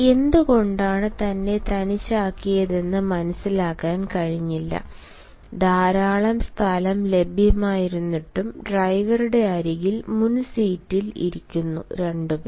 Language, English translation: Malayalam, he could not understand why he was left alone and, even though a lot of space was available, the two persons who had come to his court who were sitting in the front seat beside the driver